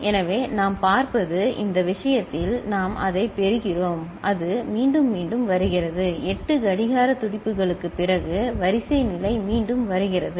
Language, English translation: Tamil, So, what we see, in this case, that we can we are getting the it is getting repeated, the sequence state is getting repeated after 8 clock pulses, ok